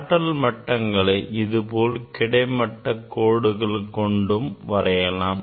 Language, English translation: Tamil, that energy levels also we can draw with this horizontal lines